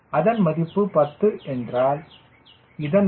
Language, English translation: Tamil, if it is ten, this these value is point one